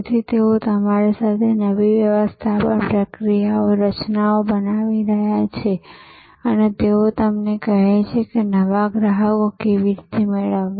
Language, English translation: Gujarati, So, that they are with you, they are creating the new management processes, structures and they are telling you how to get new customers